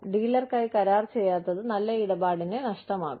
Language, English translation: Malayalam, Not doing the deal, for the dealer, will be loss of good deal